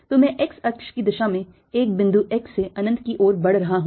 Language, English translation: Hindi, so i am moving from a point x to infinity along the x axis